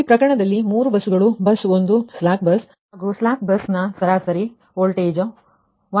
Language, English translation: Kannada, so in this case three buses: bus one is a slack bus and bus slack bus voltage at mean